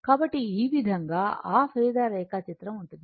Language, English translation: Telugu, So, this is how this is how that your phasor diagram